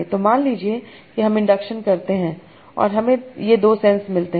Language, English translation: Hindi, So suppose I do induction and I find these two senses